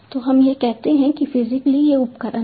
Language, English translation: Hindi, so this is, let us say that, physically, these are the devices